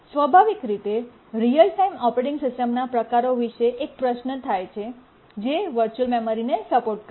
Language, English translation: Gujarati, Naturally a question arises which are the types of the real time operating systems which support virtual memory